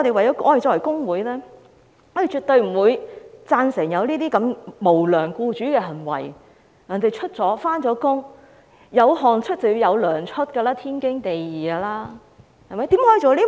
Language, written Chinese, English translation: Cantonese, 因此，作為工會成員，我們絕對不會贊成這種無良僱主的行為，既然別人工作了，"有汗出便應該有糧出"，這是天經地義的。, How terrible it is! . Therefore being members of trade unions we would absolutely disapprove of such acts of unscrupulous employers . As long as people have worked they should be remunerated in return for their sweat and toil